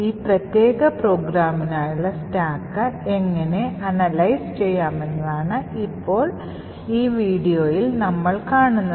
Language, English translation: Malayalam, Now what we will see in this particular video is how we could actually analyse the stack for this particular program